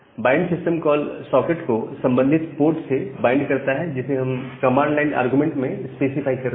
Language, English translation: Hindi, The bind system call is to bind the socket with the corresponding port number that we are specifying as a command line argument